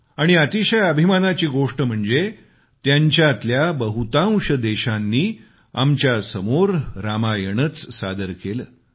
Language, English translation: Marathi, And it's a matter of immense pride that a majority of these countries presented the Ramayan in front of us